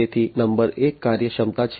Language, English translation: Gujarati, So, number 1 is efficiency